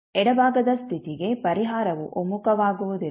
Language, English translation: Kannada, For left side condition the solution will not converge